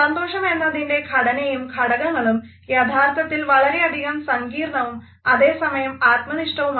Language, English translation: Malayalam, Realities of what truly constitutes and contributes to happiness are much more complex and at the same time they are also highly subjective